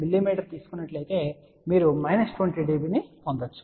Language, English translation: Telugu, 9 something mm then you can get minus 20 db